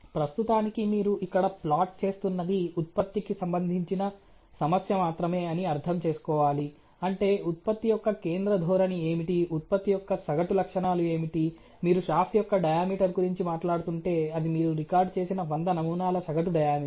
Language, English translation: Telugu, But right as of now we have to understand that we are plotting here is only the production related issue that what is the central tendency of the production, what is the mean characteristics of the production, if you are talking about diameters of a shaft, what is a been diameter of that 100 samples that you have recorded